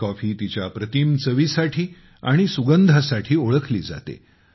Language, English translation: Marathi, It is known for its rich flavour and aroma